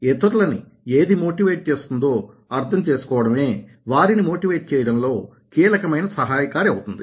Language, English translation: Telugu, the key to helping to motivate others is to understand what motivates them